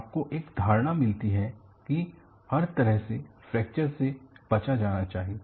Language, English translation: Hindi, You get an impression by all means fracture should be avoided